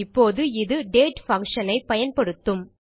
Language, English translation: Tamil, Now, this is using the date function